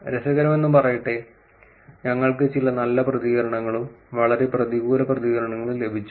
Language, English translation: Malayalam, Interestingly we got some both very positive reactions and very negative reactions also